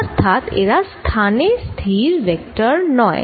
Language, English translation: Bengali, first, the position vector